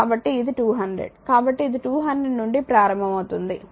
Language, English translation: Telugu, So, it is 200; so, it is starting from 200 right